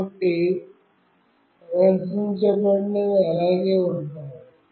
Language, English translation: Telugu, So, whatever is displayed will remain